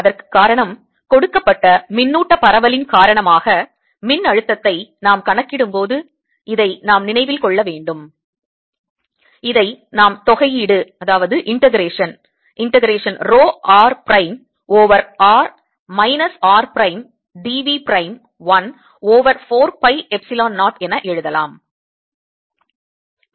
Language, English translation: Tamil, the reason for that is that, remember, when we calculate the potential due to a given charge distribution, we can write this as integration rho, r prime over r minus r, prime, d v prime, one over four, pi, epsilon zero